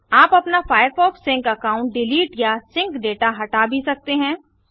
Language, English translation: Hindi, You may also want to delete your firefox sync account or clear your sync data